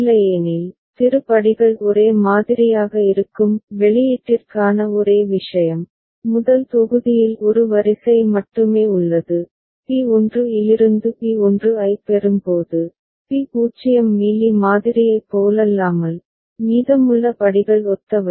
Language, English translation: Tamil, Otherwise, thie steps are same ok; only thing here for the output what we see that only one row is there in the first block while getting P1 from P naught, P0 right unlike Mealy model, rest of the steps are similar